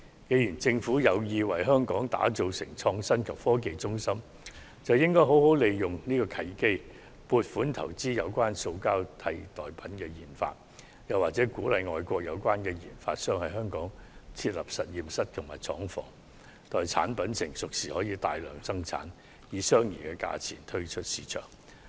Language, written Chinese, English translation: Cantonese, 既然政府有意把香港打造成創新及科技中心，便應好好利用這個契機，撥款投資進行塑膠代替品的研發，又或吸引外國研發商在香港設立實驗室及廠房，待產品成熟時便可大量生產，以相宜價格推出市場。, As the Government is planning to develop Hong Kong into an innovation and technology hub it should seize the opportunity and give funding support to research and development RD efforts in the development of a plastic substitute or attract overseas RD institutions to set up laboratories and manufacturing plants in Hong Kong . We may order mass production of the products once they are fully developed and put them on the market at competitive prices